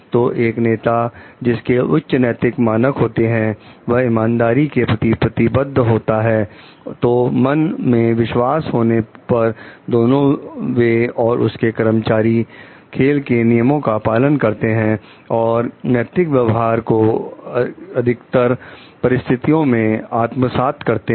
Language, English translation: Hindi, So, a leader who has a high ethical standard conveys a commitment to fairness, so instilling confidence that both they and their employees will honour the rules of the game, and will imbibe the ethical conduct in most difficult situations also